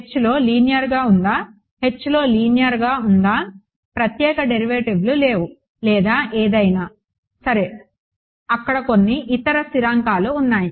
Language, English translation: Telugu, Is it linear in H it is linear in H there are no special derivatives or anything right there is some there are some other constants over there